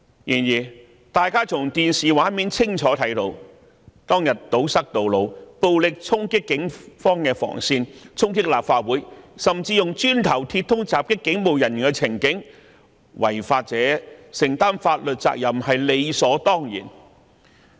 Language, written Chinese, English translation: Cantonese, 然而，大家從電視畫面清楚看到當日示威者堵塞道路、暴力衝擊警方防線、衝擊立法會，甚至以磚塊和鐵枝襲擊警務人員的情景，違法者須承擔法律責任是理所當然。, However we have seen clearly on the television screen how that day protesters blocked roads violently charged at police cordon lines and charged at the Legislative Council Complex and even used bricks and metal bars to attack police officers . It is certainly reasonable that lawbreakers should bear the legal responsibilities